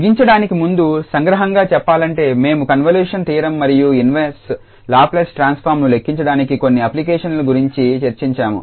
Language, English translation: Telugu, And just to conclude so we have discussed to convolution theorem and some of its applications for evaluating the inverse Laplace transform